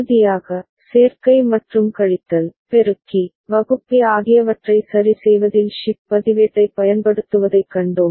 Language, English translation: Tamil, And finally, we saw use of shift register in efficient realization of adder cum subtractor, multiplier, divider ok